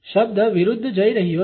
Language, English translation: Gujarati, The word going against